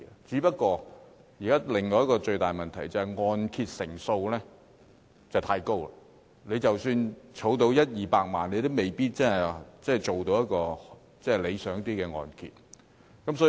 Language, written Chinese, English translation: Cantonese, 可是，現時另一個最大的問題，就是按揭成數太高，即使儲蓄到一二百萬元，也未必可以申請到較理想的按揭。, But then there is another big problem at present the loan - to - value ratio is too low . Even if a person has saved 1 million to 2 million for down payment he may still be unable to buy a really good property due to the loan - to - value ratio